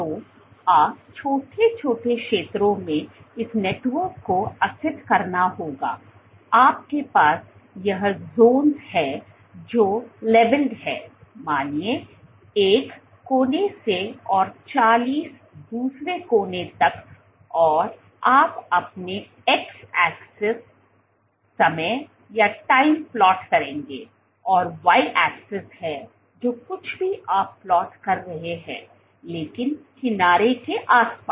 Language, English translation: Hindi, So, you would discretize this network into small small zones, you have these zones levelled from 1 at one end to whatever let us say 40 at the other end and you would plot, your x axis is time and y axis is whatever you are plotting but along the edge